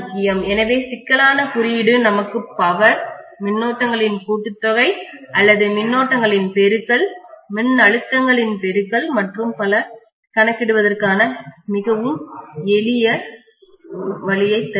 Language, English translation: Tamil, So complex notation gives us a very easy way for calculating power, calculating summation of currents or multiplication of currents, multiplication of voltages and so on